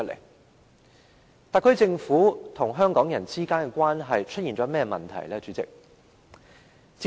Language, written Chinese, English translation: Cantonese, 代理主席，特區政府與香港人之間的關係出現了甚麼問題呢？, Deputy President what problems have emerged in the relationship between the SAR Government and the people of Hong Kong?